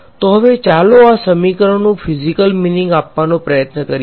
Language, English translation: Gujarati, So, now, let us just try to give a physical interpretation to these equations